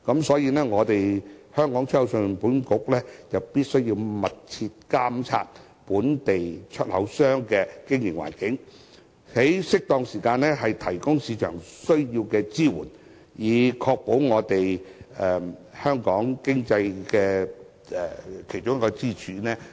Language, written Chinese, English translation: Cantonese, 所以，信保局必須密切監察本地出口商的經營環境，在適當時間提供市場需要的支援，以保障出口業這一條經濟支柱。, So ECIC must closely monitor the business environment of local exporters and provide any assistance needed by the market in due course in order to protect the export sector one of our economic pillars